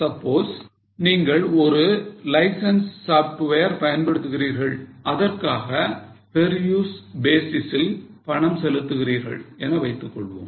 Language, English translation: Tamil, Suppose you are using a license software and pay on per use basis